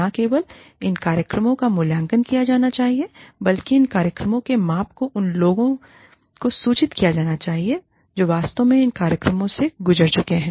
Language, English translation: Hindi, Not only, should these programs be evaluated, the evaluation, the measurement of these programs, should be communicated, to the people, who have actually undergone, these programs